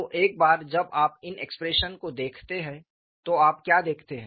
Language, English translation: Hindi, So, once you look at these expressions what do you notice